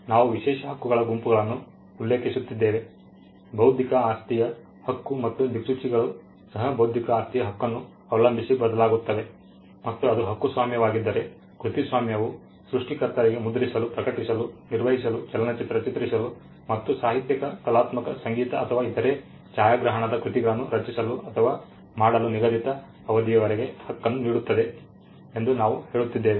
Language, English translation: Kannada, We were mentioning that the exclusive set of rights that an intellectual property right and compasses would also vary depending on the kind of intellectual property right and we were saying that if it is a copyright, then the copyright gives the creator fixed number of years to print, to publish, to perform, to film or to record literary artistic musical or other cinematographic works